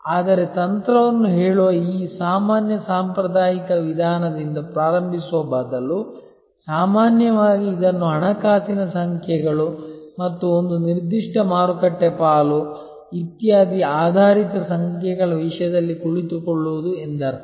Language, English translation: Kannada, But, instead of starting with this usual conventional way of stating strategy, which normally means sitting it in terms of financial numbers and a certain market share, etc oriented numbers